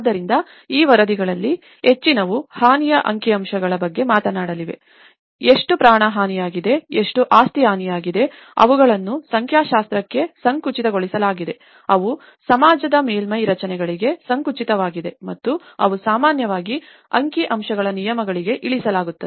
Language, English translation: Kannada, So, many of these reports whether we talk about the damage statistics, how much loss of life is damaged, how much property has been damaged, they are narrowed down to the numericals, they are narrowed down to the surface structures of the society and they are often reduced to the statistical terms